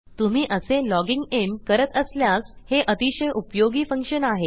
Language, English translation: Marathi, This is a very useful function if youre doing this kind of logging in